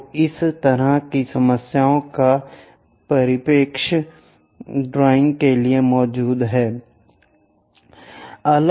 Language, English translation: Hindi, So, this kind of problems exist for this perspective drawing